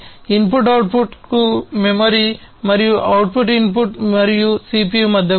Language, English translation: Telugu, The basically, the memory to the input output, and also between the input output and the CPU